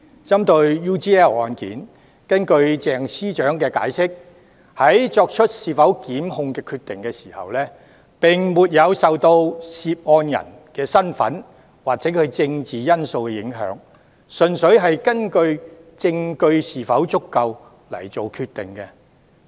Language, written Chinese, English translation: Cantonese, 針對 UGL 案，根據鄭司長解釋，在作出是否檢控的決定時，並沒有受到涉案人身份或政治因素的影響，純粹是根據證據是否足夠而作決定。, According to the justification provided by Secretary CHENG the prosecutorial decision regarding the UGL case is made purely on the adequacy of evidence . The identity of the person involved or other political factors are not considered